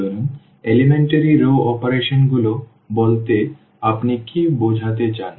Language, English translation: Bengali, So, what do you mean by elementary row operations